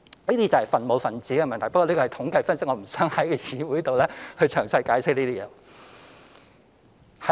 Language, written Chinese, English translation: Cantonese, 這是分母和分子的問題，不過這是統計分析，我不想在議會詳細解釋了。, It is a question of denominator and numerator but this is a statistical analysis and I do not want to go into details in the Council